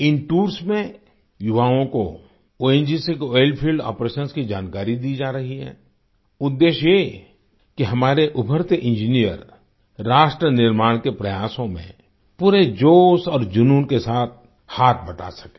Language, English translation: Hindi, In these tours, youth are being imparted knowledge on ONGC's Oil Field Operations…with the objective that our budding engineers be able to contribute their bit to nation building efforts with full zest and fervor